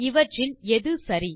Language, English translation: Tamil, Which among this is correct